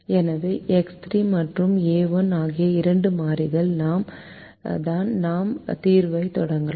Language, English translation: Tamil, so x three and a one are the two variables with which we start the solution